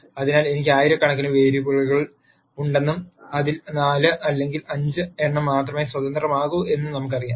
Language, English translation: Malayalam, So, if let us say I have thousands of variables and of those there are only 4 or 5 that are independent